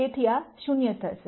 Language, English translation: Gujarati, So, this is going to be 0